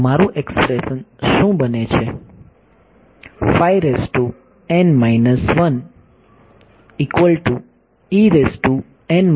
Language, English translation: Gujarati, So, what does my expression become